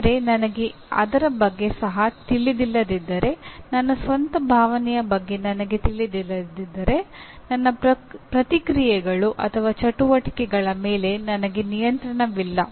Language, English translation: Kannada, But if I am not even aware of it, if I do not even know my own emotion, I do not have control over my reactions or activities